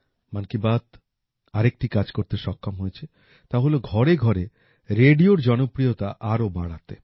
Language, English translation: Bengali, Another achievement of 'Mann Ki Baat' is that it has made radio more popular in every household